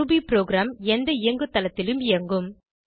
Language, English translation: Tamil, Ruby program runs in any operating system